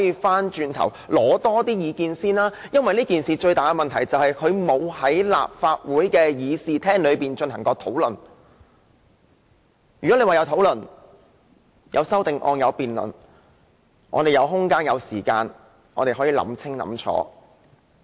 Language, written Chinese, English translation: Cantonese, 問題的癥結是修訂規例沒有在立法會的議事廳進行過討論，如果曾進行討論，有修正案及辯論，我們便有空間、時間想清楚。, The crux of the issue is that the Amendment Regulation has never been discussed in the Chamber of the Legislative Council before . Had it been discussed amended and debated before we would have had space and time to think it through